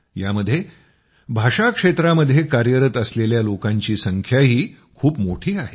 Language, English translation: Marathi, Among these, a large number are also those who are working in the field of language